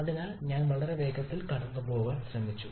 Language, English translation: Malayalam, So I have tried to go through very quickly